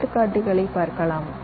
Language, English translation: Tamil, let let me give an example